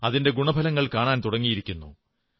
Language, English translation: Malayalam, And the positive results are now being seen